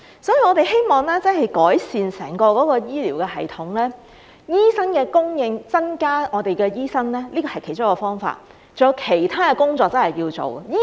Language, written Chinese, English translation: Cantonese, 所以，我們希望真的要改善整個醫療系統和醫生的供應，而增加醫生人數是其中一個方法，還有其他工作要做。, Thus we really hope that there will be improvements in the entire healthcare system and the supply of doctors . Increasing the number of doctors is one way to solve the problem and other work has to be done too